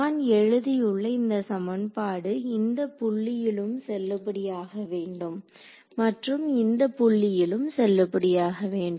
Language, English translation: Tamil, Now, this equation that I have written over here, it should be valid at this point also and at this point also right